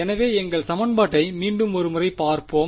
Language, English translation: Tamil, So, let us just look at our equation once again